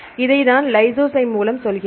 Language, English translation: Tamil, Here I tell you with the lysozyme this